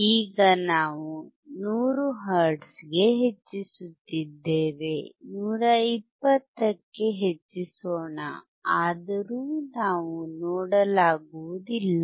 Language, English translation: Kannada, Now we are increasing to 100 hertz, let us increase to 120 , still we cannot see